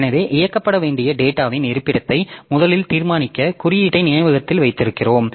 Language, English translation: Tamil, So, we keep index in memory for first determination of location of data to be operated on